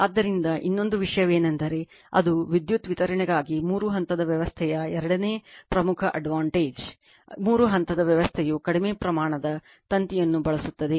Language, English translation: Kannada, So, another thing is that that is second major advantage of three phase system for power distribution is that the three phase system uses a lesser amount of wire right